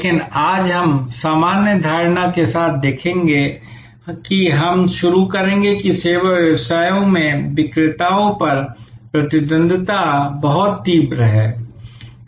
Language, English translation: Hindi, But, today we will look at with the general assumption, we will start that in service businesses rivalry on sellers is very intense